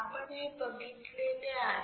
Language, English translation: Marathi, What we have seen